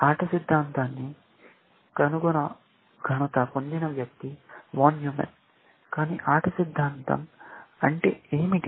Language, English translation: Telugu, Von Newman is the person, we credit with inventing game theory, and what do we mean by game theory